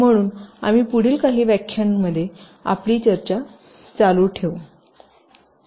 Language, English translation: Marathi, so we shall be you continuing our discussion in the next few lectures as well